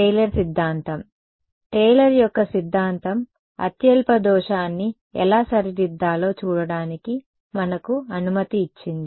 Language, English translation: Telugu, Taylor’s theorem; Taylor’s theorem allowed us to see how to get the lowest error right